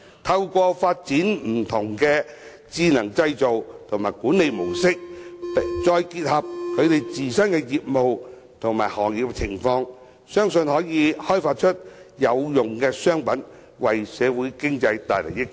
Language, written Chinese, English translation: Cantonese, 透過發展不同的智能製造和管理模式，再結合其自身業務和行業情況，相信中小企可以開發出有用商品，為社會經濟帶來益處。, Through developing different modes of intelligent manufacturing and management to link up with the situations of respective business and industry it is believed that SMEs can develop useful commodities to benefit society and the economy